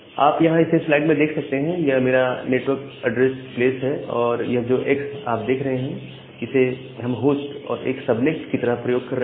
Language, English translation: Hindi, So, with 19, so this is up to my network address place, and this X that we can use as the host and a subnet